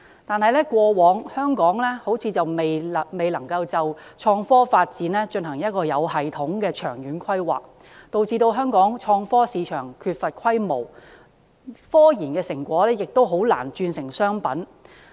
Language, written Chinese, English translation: Cantonese, 但是，香港過往似乎未能就創科發展進行有系統的長遠規劃，導致香港創科市場缺乏規模，科研成果亦難以轉化為商品。, In the past however Hong Kong seemed to have failed in systematic long - term planning on IT development . As a result the Hong Kong IT market is in lack of scale and it is also difficult to turn the results of local scientific researches into merchandize